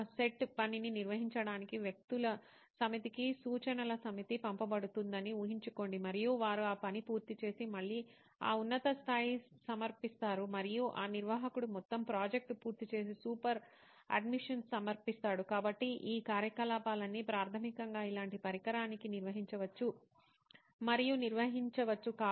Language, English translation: Telugu, Imagine a set of instructions are being passed to a set of people to perform a set of job and they complete that task and again submit it to that higher admin and that admin completes the entire project and submits to the super admin, so all these activities can be handled and probably managed to a device like this basically